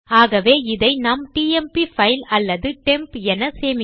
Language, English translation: Tamil, So we can save that as temp file or temp